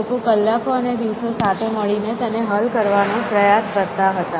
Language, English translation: Gujarati, days; people would spend hours and days together trying to solve it essentially